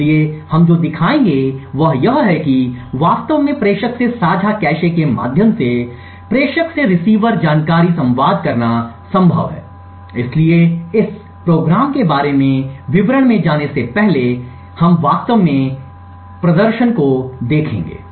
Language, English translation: Hindi, So, what we will show is that it is possible to actually communicate information from the sender through the receiver through the shared cache, so before going into details about how this program is actually working we will just look at the demonstration first